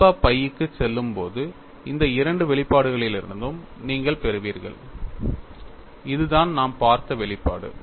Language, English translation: Tamil, When alpha goes to pi, when alpha goes to pi, you get from both this expressions; this is the expression we have seen